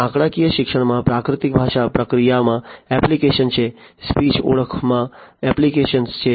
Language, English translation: Gujarati, So, statistical learning has applications in natural language processing, has applications in speech recognition, etcetera